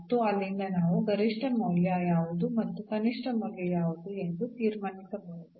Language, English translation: Kannada, And, from there we can conclude which is the maximum value and which is the minimum value